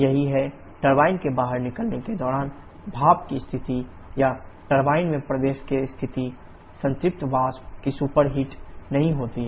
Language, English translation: Hindi, That is, the state of steam at the exit of boiler or inlet to the turbine is that of saturated vapour not super heated